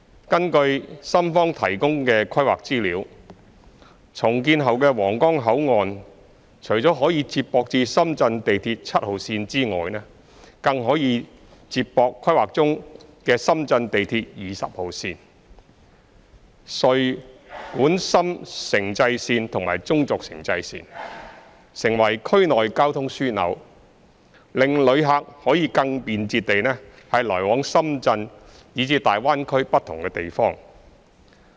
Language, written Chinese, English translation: Cantonese, 根據深方提供的規劃資料，重建後的皇崗口岸除可接駁至深圳地鐵7號線外，更可接駁規劃中的深圳地鐵20號線、穗莞深城際線及中軸城際線，成為區內交通樞紐，令旅客可更便捷地來往深圳以至粵港澳大灣區不同地方。, According to the planning information provided by the Shenzhen side the redeveloped Huanggang Port will be connected to not only Shenzhen Metro Line 7 but also its Line 20 now under planning the Guangzhou - Dongguan - Shenzhen Intercity Railway and also the Guangzhou - Shenzhen Intercity Railway . It will become a transportation hub in the region and enable passengers to travel more conveniently between various places in Shenzhen and even the Guangdong - Hong Kong - Macao Greater Bay Area